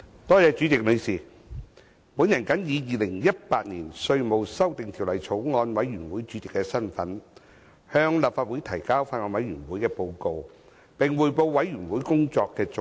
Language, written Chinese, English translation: Cantonese, 代理主席，我謹以《2018年稅務條例草案》委員會主席的身份，向立法會提交法案委員會的報告，並匯報法案委員會工作的重點。, Deputy President in my capacity as Chairman of the Bills Committee on Inland Revenue Amendment Bill 2018 I now submit to the Legislative Council the Report of the Bills Committee and report on the highlights of the work of the Bills Committee